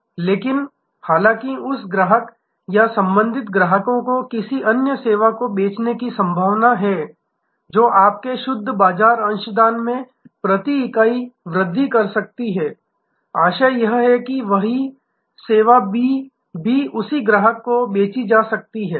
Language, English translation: Hindi, And but; however, it is there is a possibility of selling to that same customer or related customers another service, which may give you a higher per unit net market contribution, that service B can also be sold to the same customer